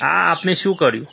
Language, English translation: Gujarati, This is what we have done